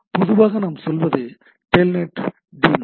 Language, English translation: Tamil, Typically what we say it is a telnet d daemon